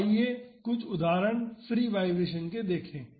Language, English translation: Hindi, Now, let us look into some free vibration examples